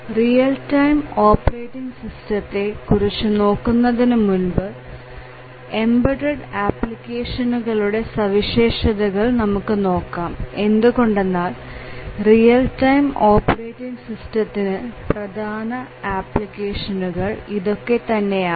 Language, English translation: Malayalam, Before we look at the real time operating system let us just spend a minute or to look at the characteristics of these embedded applications because these are one of the major applications areas of real time operating systems